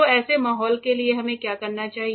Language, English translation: Hindi, So, what do we need for such an environment